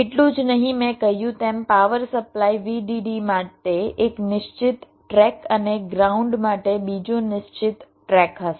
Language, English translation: Gujarati, not only that, as i said, there will be a one fixed track for the power supply, vdd, and another fixed track for ground